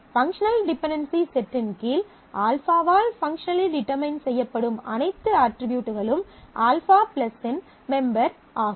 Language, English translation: Tamil, So, all set of attributes that are functionally determined by alpha under the set of functional dependencies is member of alpha+